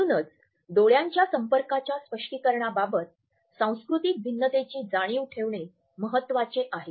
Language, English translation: Marathi, So, awareness of cultural differences, as far as the interpretation of eye contact is concerned, is important